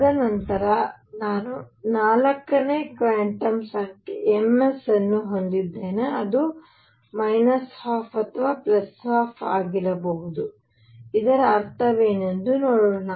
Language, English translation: Kannada, And then I have the 4th quantum number m s which could be minus half or plus half, let us see what does it mean